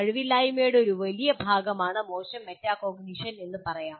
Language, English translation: Malayalam, So you can say poor metacognition is a big part of incompetence